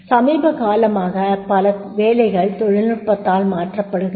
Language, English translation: Tamil, Now we are talking about that is many jobs are replaced by the technology